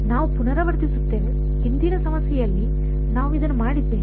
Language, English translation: Kannada, We have repeat, we have done this in the previous problem